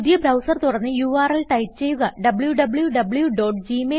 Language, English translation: Malayalam, Open a fresh browser and the type the url www.gmail.com.Press Enter